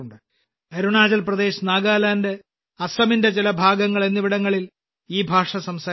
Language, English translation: Malayalam, This language is spoken in Arunachal Pradesh, Nagaland and some parts of Assam